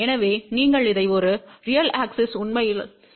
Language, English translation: Tamil, So, you can actually think about this as a real axis